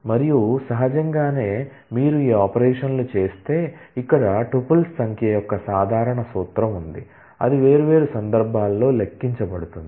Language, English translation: Telugu, And naturally if you do these operations then, here is the simple formula of the number of tuples, that will get computed in different cases